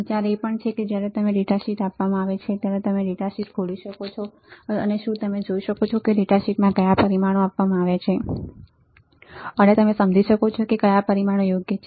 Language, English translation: Gujarati, The idea is also that when you are given a data sheet can you open the data sheet and can you see what are the parameters given in the data sheet and can you understand what are the parameters right